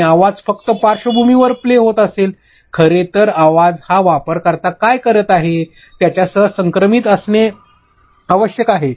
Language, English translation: Marathi, And your audio is just playing in the background; your audio has to be in sync with what the user is doing